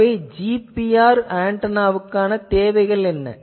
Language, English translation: Tamil, So, what is the requirement of a GPR antenna